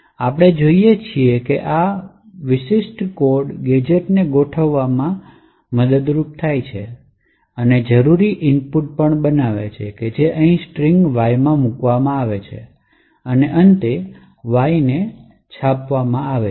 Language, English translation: Gujarati, PY, will just have a look at that and see that, this particular code arranges the gadgets and forms the required input which is placed in Y, in the string Y over here and finally Y gets printed